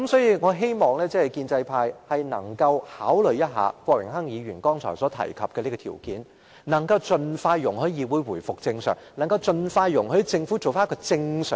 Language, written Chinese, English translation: Cantonese, 因此，我希望建制派能夠考慮一下郭榮鏗議員剛才提出的條件，盡快讓議會回復正常運作，盡快讓政府回復正常。, Hence I hope that the pro - establishment camp will consider the conditions offered by Mr Dennis KWOK to resume the normal operation of this Council and the Government as soon as possible